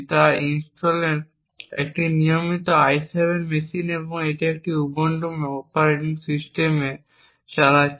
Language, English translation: Bengali, So, the machine that we are using over here is a regular i7 machine from Intel and it is running an Ubuntu operating system